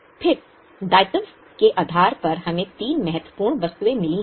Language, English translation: Hindi, Then on liability side we have got three important items